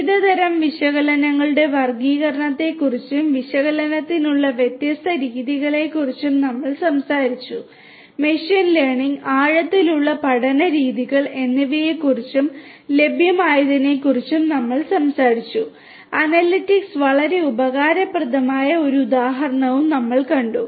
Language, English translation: Malayalam, We talked about the classification of different types of analytics and the different methodologies for analytics; we talked about machine learning, deep learning methods and that are available; we also saw an example where analytics would be very much useful